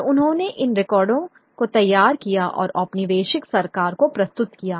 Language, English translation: Hindi, And he produced these records and submitted to the colonial government